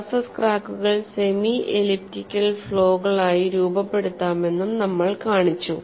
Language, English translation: Malayalam, We have also shown surface cracks can be modeled as semi elliptical